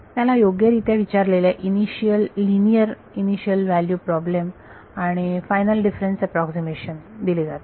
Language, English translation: Marathi, So, it is given a properly posed initial linear initial value problem and a final difference approximation